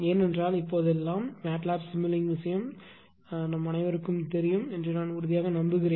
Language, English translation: Tamil, Because I strongly believe that everyone knows MATLAB sim MATLAB simu link thing nowadays right